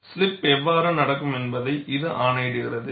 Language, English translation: Tamil, This dictates how the slipping will take place